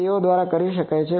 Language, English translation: Gujarati, They can be done